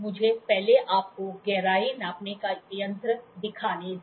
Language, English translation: Hindi, Let me first to show you a depth gauge